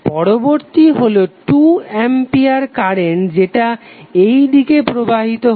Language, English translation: Bengali, Next is 2A current which is flowing in this direction